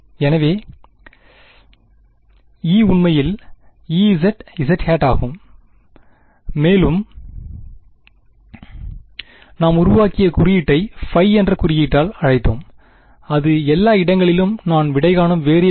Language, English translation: Tamil, So, E is actually only E z z hat and the further notation that we made was we called it by the symbol phi that was the variable that I was solving everywhere right